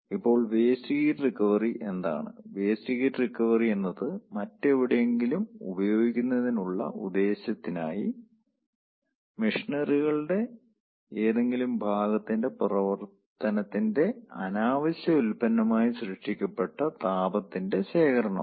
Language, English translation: Malayalam, waste heat recovery is the collection of heat created as an undesired, by product of the operation of a piece of equipment, of machinery to sub a desired purpose else where